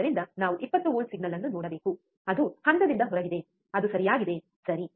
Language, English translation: Kannada, So, we should see a signal which is 20 volt signal is out of phase that is correct, right